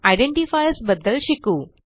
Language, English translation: Marathi, Let us know about identifiers